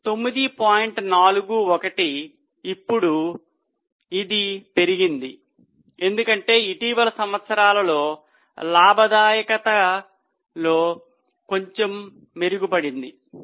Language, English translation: Telugu, 41, it has gone up now because recent years the profitability is bit improved